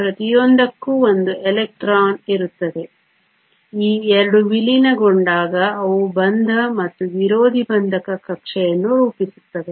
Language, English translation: Kannada, Each has one electron; when these 2 merge they form both a bonding and an anti bonding orbital